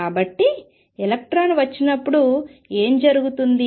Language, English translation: Telugu, So, what happens when electron comes in